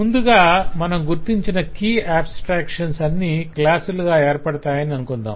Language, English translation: Telugu, let us at least initially agree that all the key abstractions initially would be formed as classes